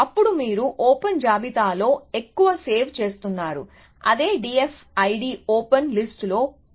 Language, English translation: Telugu, Then you are saving on the open list largely, that is what D F I D was doing saving on the open list essentially